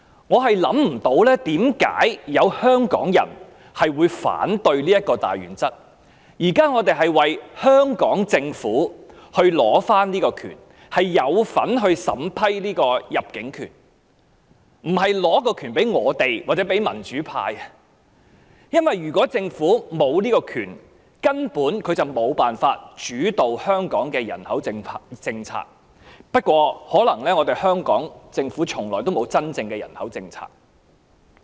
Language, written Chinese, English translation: Cantonese, 我想不通為何有香港人會反對這項大原則，我們現在為香港政府爭取這種權利，可以參與審批單程證，而不是將審批權力給予我們或民主派人士，因為如果香港政府沒有審批單程證權力，便根本無法主導香港的人口政策；不過，可能香港政府從來也沒有真正的人口政策。, We are now fighting on behalf of the Hong Kong Government for the right to be involved in the vetting and approval of OWP applications instead of fighting for this right for us or the democratic camp . It is because if the Hong Kong Government does not have the right of vetting and approving OWP applications it basically cannot play a deciding role in Hong Kongs population policy . But perhaps the Hong Kong Government never has a genuine population policy